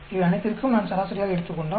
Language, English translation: Tamil, If I take average of all these